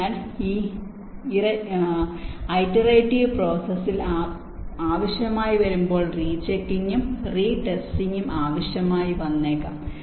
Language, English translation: Malayalam, so and this iterative process which may need rechecking and retesting if required, as an when required